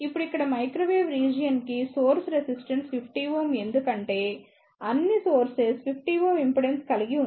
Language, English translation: Telugu, Now here, the source resistance for the microwave region is 50 ohm because all the sources have the 50 ohm impedance